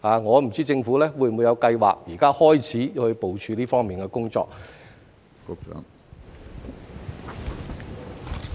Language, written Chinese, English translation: Cantonese, 我不知政府有否計劃現時開始部署這方面的工作。, I wonder if the Government has any plan to start mapping out the work in this regard now